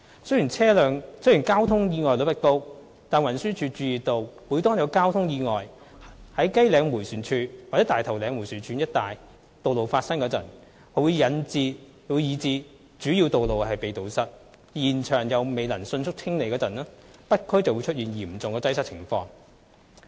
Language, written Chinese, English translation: Cantonese, 雖然交通意外率不高，但運輸署注意到每當有交通意外在雞嶺迴旋處或大頭嶺迴旋處一帶道路發生以致主要路口被堵塞，而現場又未能迅速清理時，北區便出現嚴重擠塞的情況。, Although the traffic accident rate is not high the Transport Department TD has noted that whenever a traffic accident occurred in the vicinity of Kai Leng Roundabout or Tai Tau Leng Roundabout resulting in the obstruction of major road junctions and that there was no swift clearance at the site of the accident there would be severe traffic congestion in the North District